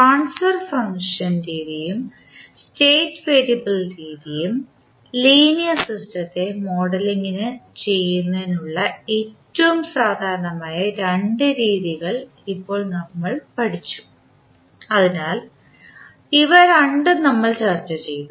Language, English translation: Malayalam, Now, we have studied two most common methods of modeling the linear system that were transfer function methods and the state variable method, so these two we have discussed